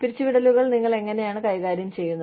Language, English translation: Malayalam, How do you handle layoffs